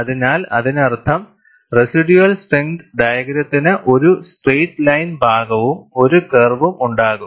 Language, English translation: Malayalam, So, that means, the residual strength diagram, will have a straight line portion plus a curve